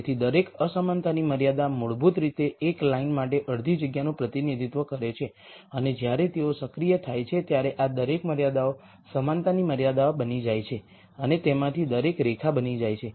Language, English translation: Gujarati, So, each inequality constraint is basically representing one half space for a line and when they become active each of these constraints become an equality constraint each of them become line